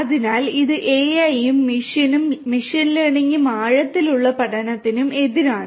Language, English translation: Malayalam, So, difference between machine learning and deep learning